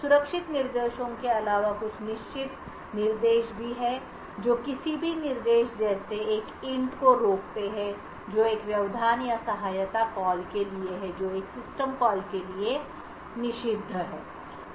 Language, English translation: Hindi, Besides the safe instructions there are certain instructions which are prohibited any instructions like an int which stands for an interrupt or assist call which stands for a system call is prohibited